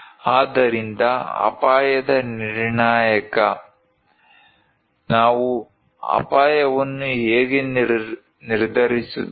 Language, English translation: Kannada, So, determinant of risk; how we determine a risk